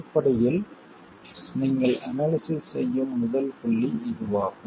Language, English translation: Tamil, Essentially it is the first point at which you do the analysis